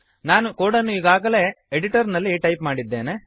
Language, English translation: Kannada, Let us look at an example I have already typed the code on the editor